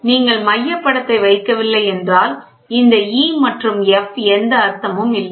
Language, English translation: Tamil, So, until you if you do not put the centre image if this image is not there, so, this E and F does not make any sense